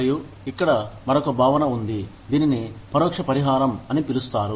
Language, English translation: Telugu, And, there is another concept here, called indirect compensation